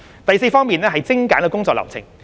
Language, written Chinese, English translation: Cantonese, 第四方面是精簡工作流程。, The fourth aspect is the streamlining of workflow